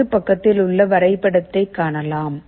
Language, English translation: Tamil, You see this diagram on the right